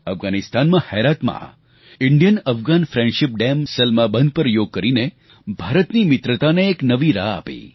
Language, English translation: Gujarati, In Herat, in Afghanistan, on the India Afghan Friendship Dam, Salma Dam, Yoga added a new aspect to India's friendship